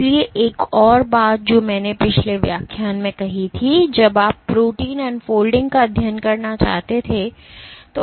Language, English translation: Hindi, So, one more thing I had mentioned in a last lecture was when you want to study protein unfolding